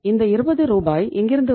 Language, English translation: Tamil, And this 20 Rs will come from where